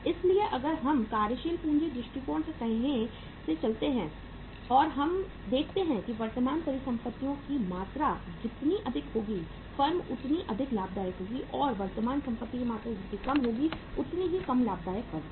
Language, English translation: Hindi, So if we look at go by the say approaches of the working capital and we see that uh smaller the amount of current assets more profitable the firm will be and higher the amount of current asset lesser the lesser profitable the firm will be